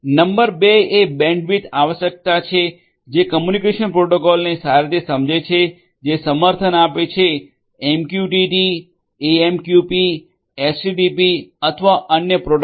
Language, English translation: Gujarati, Number two is the bandwidth requirement which is well understood the communication protocols that are supported whether it is MQTT, AMQP, HTPP or you know the other protocols that are there